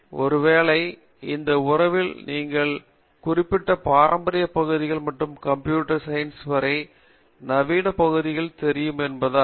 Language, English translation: Tamil, Maybe in this relation, since you both mentioned traditional areas and you know modern areas that are coming up in computer science